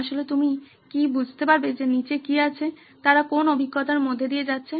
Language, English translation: Bengali, Can you actually figure out what is underneath, whatever experiences they are going through